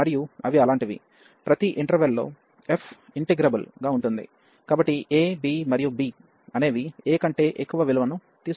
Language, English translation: Telugu, And they are such that, that f is integrable on each interval, so a, b and b can take any value greater than a